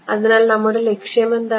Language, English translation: Malayalam, So, what is our goal